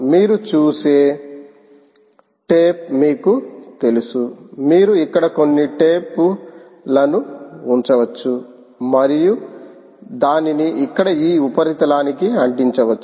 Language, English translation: Telugu, there is a piece of, you know, tape that you see here you can put some tape and then stick it to this surface here, and then what you do